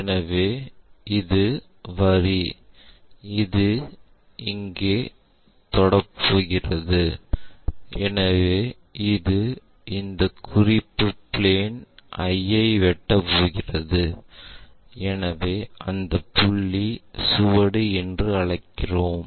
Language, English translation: Tamil, So, this is the line which is going to touch that so it is going to intersect this reference plane and that point what we are calling trace